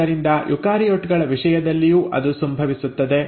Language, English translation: Kannada, So that also happens in case of eukaryotes